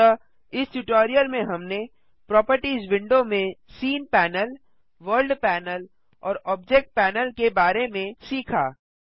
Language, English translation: Hindi, So, in this tutorial we have covered scene panel, world panel and Object panel under the Properties window